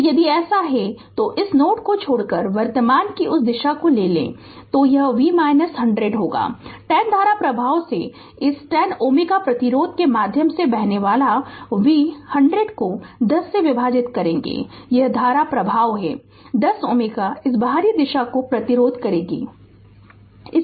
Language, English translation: Hindi, So, if it is so, then if you take that direction of the current here leaving this node right it will be V minus 100 by 10 current flowing through this 10 ohm resistance will be V minus 100 divided by 10, this is the current flowing through this 10 ohm resistance this [ou/outer] outer direction right